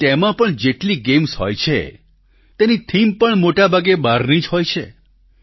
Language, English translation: Gujarati, But even in these games, their themes are mostly extraneous